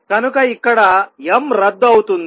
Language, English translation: Telugu, So, this comes out to be m cancels